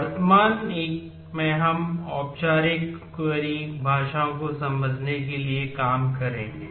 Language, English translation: Hindi, In the current 1 we will work to understand the formal query languages